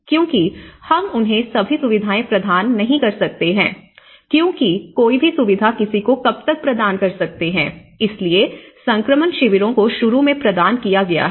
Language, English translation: Hindi, Because, we cannot keep providing them all the facilities, for how long one can provide, so that is where the transition camps have been provided initially